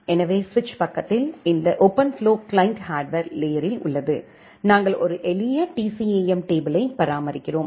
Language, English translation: Tamil, So, at the switch side you have this OpenFlow client at the hardware layer, we are maintaining a simple TCAM table